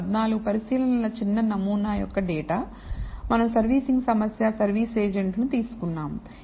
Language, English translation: Telugu, This is a data of 14 observations small sample, which we have taken on a servicing problem service agents